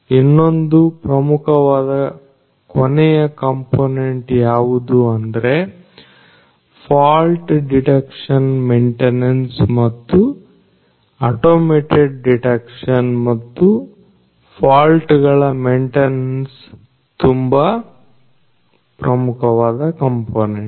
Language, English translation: Kannada, So, what is also important the last component I would say what is important is the fault detection maintenance and automated detection and maintenance of faults is a very important component